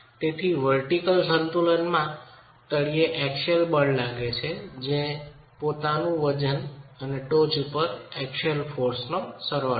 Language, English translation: Gujarati, So, from the vertical equilibrium, the axial force at the bottom is the summation of the self weight and the axial force superimposed at the top